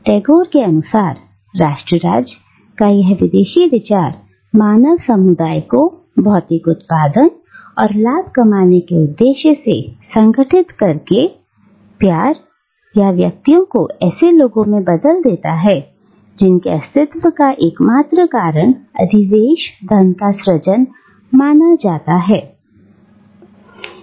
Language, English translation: Hindi, Now, according to Tagore, this alien idea of nation state, by organising the human community for the purpose of material production and profit making, transforms individuals into one dimensional men whose only reason for existence is perceived as the creation of surplus wealth